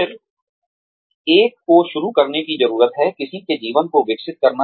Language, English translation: Hindi, Then, one needs to start, developing one's life